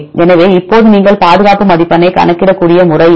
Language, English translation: Tamil, So, now this is the method you can calculate the conservation score